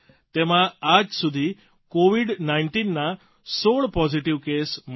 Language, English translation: Gujarati, Here till date, 16 Covid 19 positive cases have been diagnosed